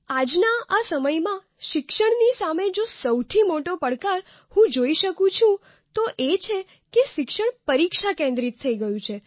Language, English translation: Gujarati, "Today what I see as the biggest challenge facing the education is that it has come to focus solely on examinations